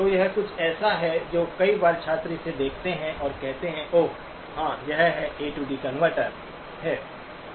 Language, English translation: Hindi, So this is something that many times student look at this and say oh, yes, this is A to D converter